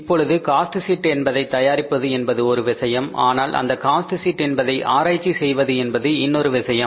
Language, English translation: Tamil, Now, preparation of the cost sheet is one thing but analyzing the cost sheet is other thing